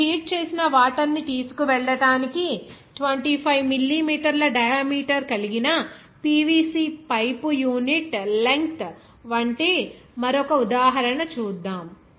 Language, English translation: Telugu, Now, let us do another example, like a 25 millimeter diameter PVC pipe of unit length is used to carry heated water